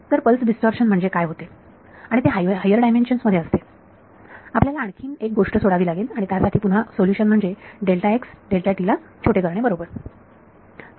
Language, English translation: Marathi, So, pulse distortion is what happens and it is given in higher dimensions there is another thing that you have to leave it and again the solution for that is making delta x delta t small right